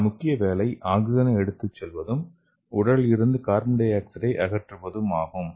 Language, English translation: Tamil, so here the blood substitutes the main function is to carry the oxygen and also to remove the carbon dioxide from the body